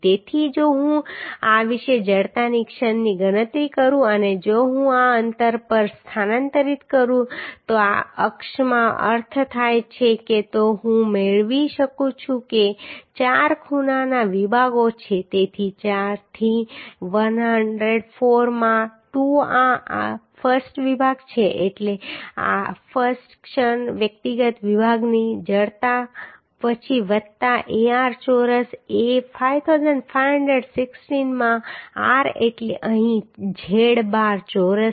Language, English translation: Gujarati, 03 which is the moment of inertia that I can make So if I calculate the moment of inertia about this and if I transfer to this distance means in in this axis then I can get that is a four angle sections are there so 4 into 104 into 2 this is the I section means I moment of inertia of individual section then plus Ar square A is 5516 into r means here z bar square right So there is 4 sections so we have total area is this so from this if I equate I can find out z bar as 124